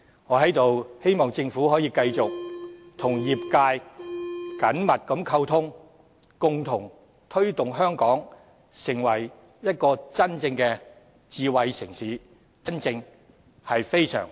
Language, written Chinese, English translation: Cantonese, 我在此希望政府可以繼續與業界緊密溝通，共同推動香港成為真正的智慧城市——真正非常 smart 的城市。, I hope the Government can continue to maintain close communication with the trade and jointly devote efforts to making Hong Kong a truly smart city―a genuinely very smart city